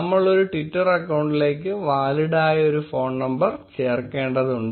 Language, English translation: Malayalam, We need to add a valid phone number to a twitter account